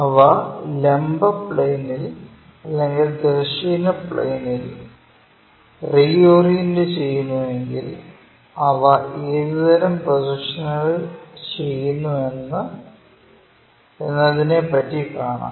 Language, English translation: Malayalam, If they are reoriented with respect to the vertical plane, horizontal plane what kind of projections do they make